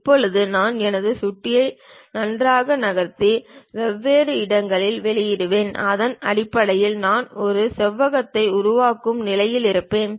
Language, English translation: Tamil, Now, I just nicely move my mouse, release at different locations, based on that I will be in a position to construct a rectangle